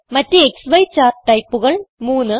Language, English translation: Malayalam, Other XY chart types 3